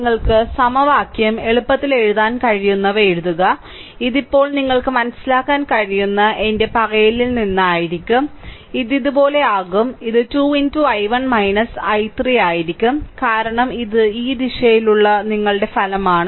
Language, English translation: Malayalam, So, write down those write easily you can write down the equation, it will be now from my mouth I am telling you can understand, it will be if i move like these it will be 2 into i 1 minus i 3, because this is your resultant in the in this direction sorry, so just hold on